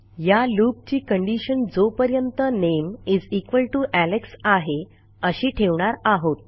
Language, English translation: Marathi, The condition of the loop I want is while the name = Alex